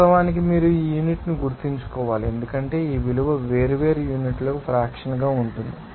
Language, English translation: Telugu, Of course, you have to remember this unit because this value of will be different for different units